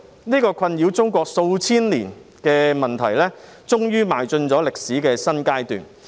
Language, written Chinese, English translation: Cantonese, 這個困擾中國數千年的問題終於邁進歷史的新階段。, This problem which had been harassing China for a few thousand years has finally entered into a new stage in history